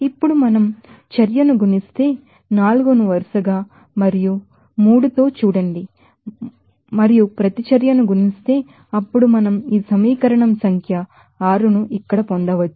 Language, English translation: Telugu, Now, if we multiply the reaction see and reaction 4 by 4 and 3 respectively and then adding then we can get this equation number 6 here